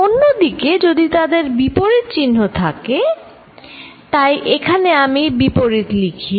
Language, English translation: Bengali, On the other hand, if they are at opposite sign, so let me write opposite out here